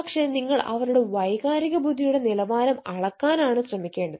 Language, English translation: Malayalam, so that is why, then, how to measure emotional intelligence